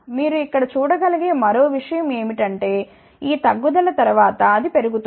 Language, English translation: Telugu, Neither thing what you can see here, that after this decrease it is increasing